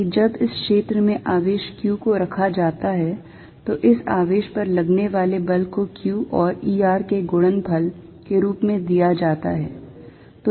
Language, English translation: Hindi, So, that when charge q is put in this field, the force on this charge is given as q times E r